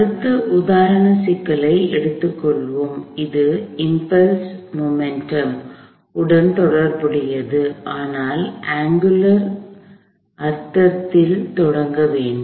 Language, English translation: Tamil, Let us take on the next example problem; this is also pertaining to impulse momentum, but in an angular sense to start with